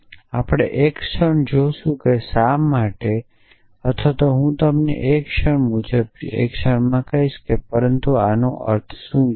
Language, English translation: Gujarati, And we will see a moment why or I will tell you in the moment wise, but what the implication of this